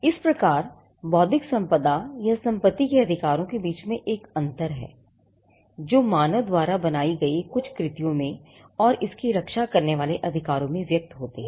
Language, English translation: Hindi, So, there is a distant distinction between intellectual property or the rights of property that manifest in certain creations made by human beings, and the right that protects these manifestations